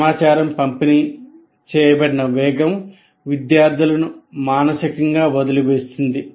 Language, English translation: Telugu, The pace at which information is delivered can make the students mentally drop out